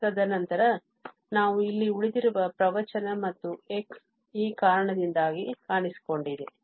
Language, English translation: Kannada, And, then we have the rest here which discourse and x also has appeared due to this one